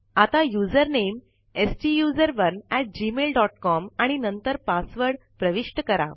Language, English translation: Marathi, Now enter the user name STUSERONE at gmail dot com and then the password